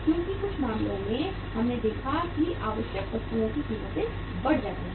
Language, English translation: Hindi, Because in certain cases we have seen that the prices of the essential commodities go up